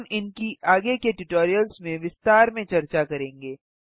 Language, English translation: Hindi, There are few other options here, which we will cover in the later tutorials